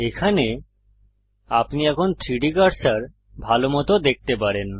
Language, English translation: Bengali, There, you might be able to see the 3D cursor better now